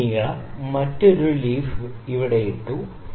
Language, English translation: Malayalam, So, this length I have put another leaf here